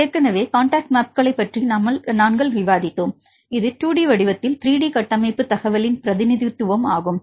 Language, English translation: Tamil, So, we discussed about the contact maps, this is the representation of the 3D structure information in 2D form